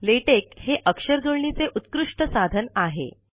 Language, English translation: Marathi, Latex is an excellent typesetting software